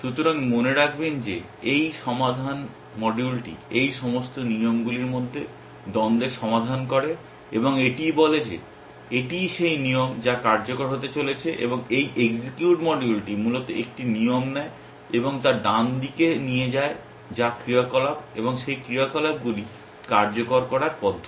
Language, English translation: Bengali, So, remember that this resolve module resolves the conflicts between all these rules and it says this is the rule that is going to execute and this execute module basically takes a rule and takes its right hand side which is the actions and in and sort of execute to those actions